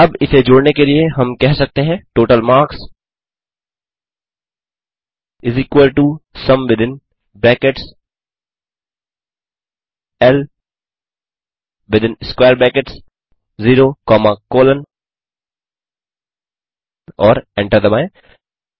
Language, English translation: Hindi, Now to sum this we can say total marks is equal to sum within brackets L within square brackets 0 comma colon and Hit Enter.Then total marks